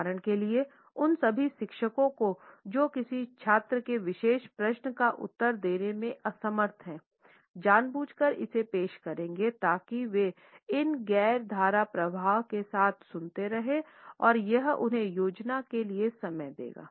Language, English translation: Hindi, For example all those teachers who are unable to answer to a particular question by a student, would deliberately introduced it so that they would keep on listening with these non fluencies and it would give them time to plan